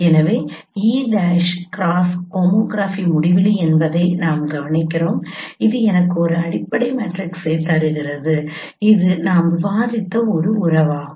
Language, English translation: Tamil, So we note E prime cross homography at infinity that gives you a fundamental matrix that is the relationship we have discussed here